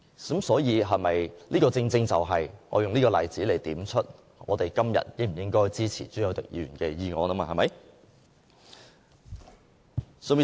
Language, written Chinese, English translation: Cantonese, 所以，我正正用這個例子來點出，我們今天應否支持朱凱廸議員的議案。, Therefore I wish to use this example to shed light on whether we should support Mr CHU Hoi - dicks motion today